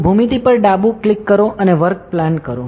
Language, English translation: Gujarati, So, left click on the geometry and give work plane